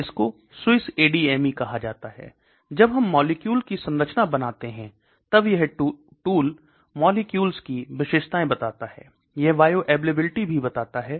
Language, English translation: Hindi, One is called SWISS ADME; when we draw a structure it can give properties of molecules; it can give what is the oral bioavailability